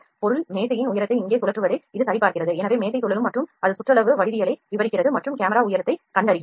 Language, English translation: Tamil, It is checking the height of the object table is rotating here, so the table will rotating and that is describing the circumferential geometry and camera is detecting the height